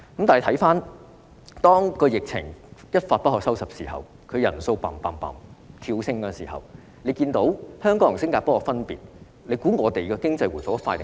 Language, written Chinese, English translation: Cantonese, 到疫情一發不可收拾時，確診人數不斷跳升，大家看到香港與新加坡的分別，哪個地方的經濟會回復得較快？, When the epidemic outbreak has gone out of control with a continuous surge in the number of confirmed cases we can then see the difference between Hong Kong and Singapore . Whose economy will recover more expeditiously?